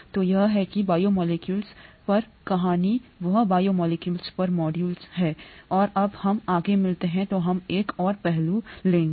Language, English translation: Hindi, So that is the story on biomolecules, that is the module on biomolecules, and when we meet up next we will take up another aspect